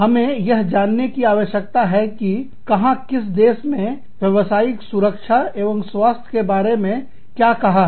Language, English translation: Hindi, We need to find out, where, which country says, what about occupational safety and health